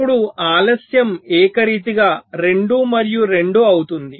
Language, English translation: Telugu, so now the delay becomes uniform, two and two